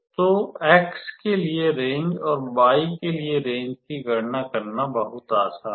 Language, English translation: Hindi, So, it is very easy to calculate the range for x and range for y